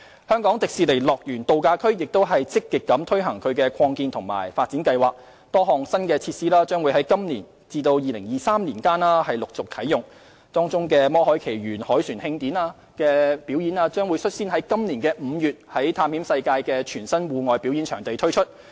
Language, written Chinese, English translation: Cantonese, 香港迪士尼樂園度假區亦正積極推行擴建及發展計劃，多項新設施將在今年至2023年期間陸續啟用，當中"魔海奇緣凱旋慶典"舞台表演將率先於今年5月在探險世界的全新戶外表演場地推出。, The Hong Kong Disneyland Resort is also actively carrying out an expansion and development plan and a number of new facilities will be commissioned progressively from this year to 2023 . The Moana A Homecoming Celebration stage show will be the first to be launched at the entirely new outdoor venue at Adventureland in May 2018